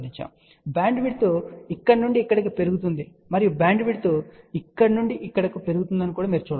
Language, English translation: Telugu, So, you can see that the bandwidth increases from here to here and bandwidth increases from here to here